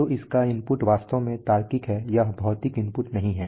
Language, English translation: Hindi, So its input is actually logical it is not physical input